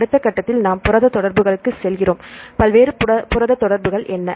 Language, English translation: Tamil, So, in our next level we go to the protein interactions, what are the various protein interactions